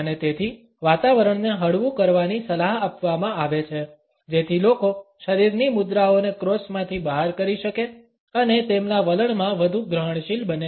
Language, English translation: Gujarati, And therefore, it is advisable to relax the atmosphere so that the people can uncross the body postures and be more receptive in their attitudes